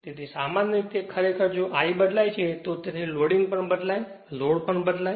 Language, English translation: Gujarati, So, generally that your actually if I varies; therefore, your loading also varies right load also varies